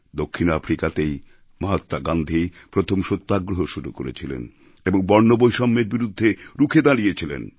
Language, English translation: Bengali, It was in South Africa, where Mahatma Gandhi had started his first Satyagraha and stood rock steady in protest of apartheid